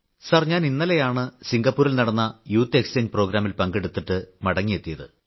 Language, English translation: Malayalam, Sir, I came back from the youth Exchange Programme,